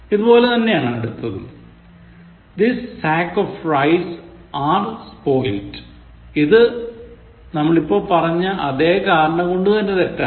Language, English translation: Malayalam, Similarly, the next one: This sack of rice are spoilt is wrong, for the same reason as above, This sack of rice is spoilt again